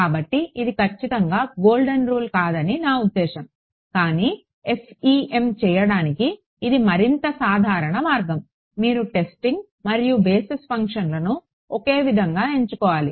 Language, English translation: Telugu, So, that is the most I mean it is not absolutely the golden rule, but this is the by further most common way for doing FEM is you choose the testing and basis functions to be the same ok